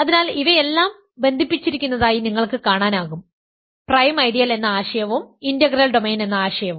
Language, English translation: Malayalam, So, as you can see all these are connected, the notion of prime ideal and the notion of integral domain